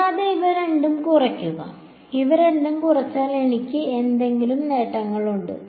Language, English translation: Malayalam, And subtract these two, by subtracting these two is there any advantages that I get